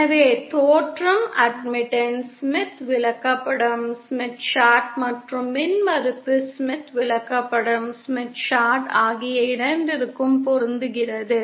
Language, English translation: Tamil, So the origin corresponds to the matching for both the Admittance Smith Chart as well as the Impedance Smith Chart